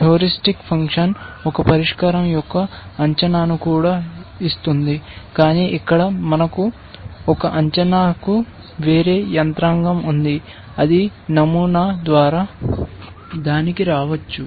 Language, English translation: Telugu, A heuristic function also gives an estimate of a solution, but here we have a different mechanism to arrive at an estimate is that is by sampling